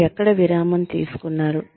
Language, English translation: Telugu, Where you took a break